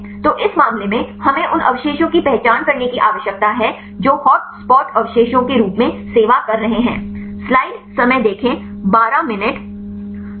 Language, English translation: Hindi, So, in this case we need to identify the residues which are serving as the hotspot residues right